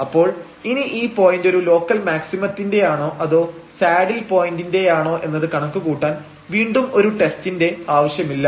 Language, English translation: Malayalam, And therefore, we do not need any other test to compute whether this point is a point of a local maximum minimum or a saddle point